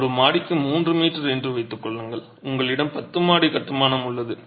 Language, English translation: Tamil, Assume 3 meters per story and you have a 10 story construction